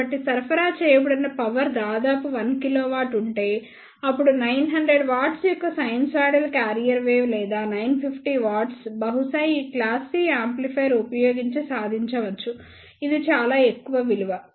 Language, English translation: Telugu, So, if the supplied power is around one kilowatt then the sinusoidal carrier wave of 900 watt or maybe 950 watt can be achieved using these class C amplifier which is very high value